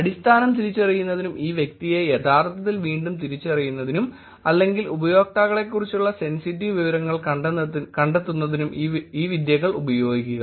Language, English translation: Malayalam, Use these techniques to identify just basis and be able to actually re identify the person and or also find out sensitive information about the users themselves